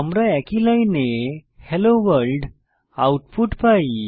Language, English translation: Bengali, We get the output as Hello World